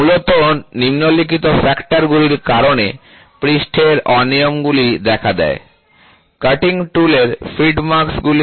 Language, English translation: Bengali, The surface irregularities primarily arise due to the following factors: Feed marks of the cutting tool